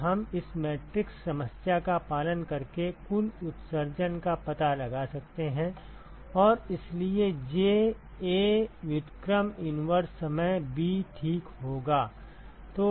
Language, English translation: Hindi, So, we can find out the total emission simply by following this matrix problem and so J will be A inverse times b ok